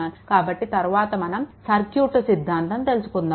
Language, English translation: Telugu, So, next one will be your circuit theorem right